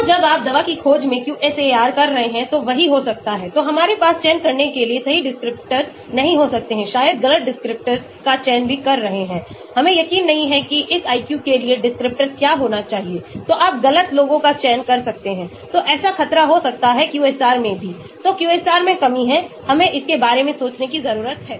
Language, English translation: Hindi, So, the same thing can happen when you are doing QSAR in drug discovery, so we may not have the correct descriptors to select, maybe selecting the wrong descriptors also, we are not sure what should be the descriptor for this IQ, so we may be selecting the wrong ones, so that is a danger that can happen in QSAR also, so that is a shortcoming in QSAR, we need to think of it